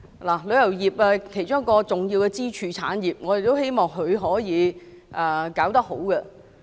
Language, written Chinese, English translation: Cantonese, 旅遊業是香港一個重要的支柱產業，我們希望可以做得好。, The travel industry is an important pillar industry of Hong Kong . We hope that it can do a good job